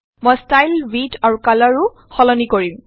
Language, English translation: Assamese, I will also change the Style, Width and Color